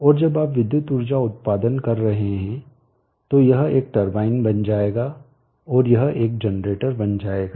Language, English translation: Hindi, And when you are generating the electrical power output, this will become a turbine and this will become a generator